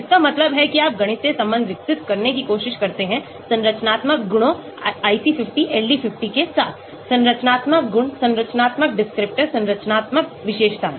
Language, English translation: Hindi, That means you try to develop a mathematical relation between the activity that means IC50, LD50 with the structural properties; structural properties, structural descriptor, structural features